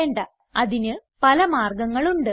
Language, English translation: Malayalam, No, there are a number of solutions